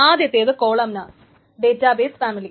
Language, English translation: Malayalam, The first one is the columnar database family